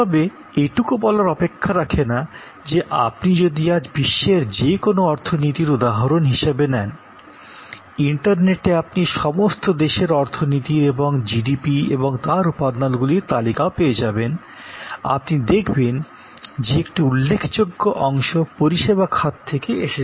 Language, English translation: Bengali, But, suffice it to say that you take any economy around the world today and on the internet, you can get list of all economies and all the GDP's and their components and you will find substantial significant part comes from the service sector